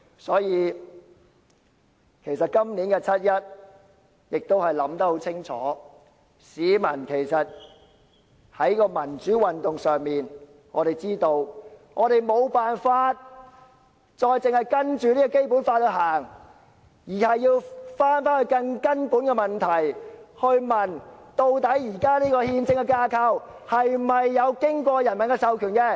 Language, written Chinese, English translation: Cantonese, 所以，對於今年的七一遊行，市民都思考得很清楚，市民也都知道，在民主運動方面，我們無法只是依循《基本法》，反而要思考更根本的問題：究竟現時的憲政架構有否經過人民授權？, Hence for the 1 July march this year members of the public have to consider carefully; they have to be aware that we cannot just follow the Basic Law in promoting the democratic movement . We should instead consider a more fundamental problem that is does the existing constitutional framework has the peoples mandate